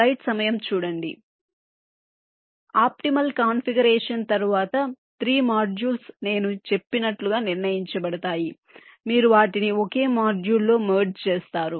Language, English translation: Telugu, so after the optimal configuration for the three modules are determined, as i said, you merge them into a single module